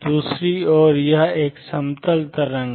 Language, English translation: Hindi, On the other hand this is a plane wave